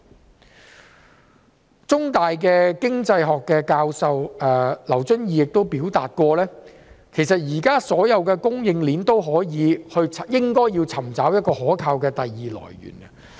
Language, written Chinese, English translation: Cantonese, 香港中文大學經濟學教授劉遵義亦曾表示，現時所有供應鏈也應尋找一個可靠的第二來源。, Lawrence LAU Professor of Economics of the Chinese University of Hong Kong has also stated that all supply chains should seek a reliable second source now